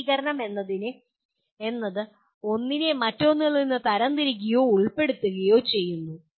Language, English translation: Malayalam, Classification is categorization or subsuming one into something else